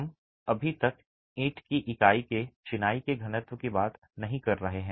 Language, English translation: Hindi, We are not talking of density of masonry at brick unit